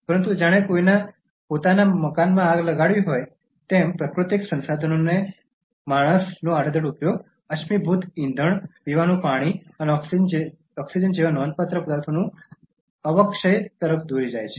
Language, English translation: Gujarati, But as if to set fire on one’s own house, man’s indiscriminate use of natural resources is leading to depletion of significant ones such as fossil fuels, drinking water, and oxygen